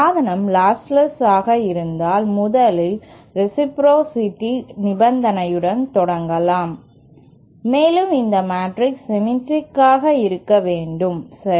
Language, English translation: Tamil, If the device is lostless, if the, lets first start with the condition for reciprocity and this matrix should be symmetric, okay